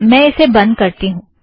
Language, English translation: Hindi, Let me close this